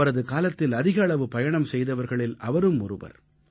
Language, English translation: Tamil, He was the widest travelled of those times